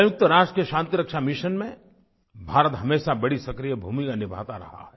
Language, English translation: Hindi, India has always been extending active support to UN Peace Missions